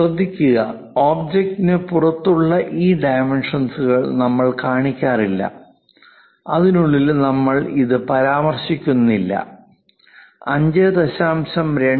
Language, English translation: Malayalam, Note that, we are showing these dimensions outside of the object outside not inside something like we are not mentioning it something like this is 5